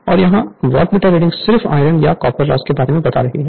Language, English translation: Hindi, And here, Wattmeter reading gives only iron or core loss